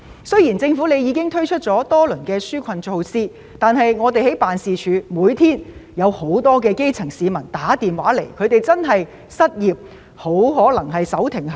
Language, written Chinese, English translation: Cantonese, 雖然政府已推出多輪紓困措施，但我們的辦事處每天都收到基層市民來電，表示他們面臨失業，很可能手停口停。, Even though the Government has launched a few rounds of relief measures our office still receives calls from the grass roots each day saying that they are unemployed and may likely be unable to feed their family